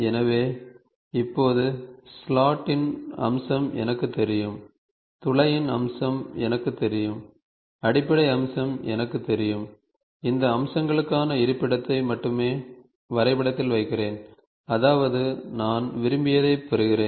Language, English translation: Tamil, So now, the feature of slot is known to me, the feature of hole is known to me, the base feature is known to me, I only put the location for these features in the drawing such that I get whatever I want ok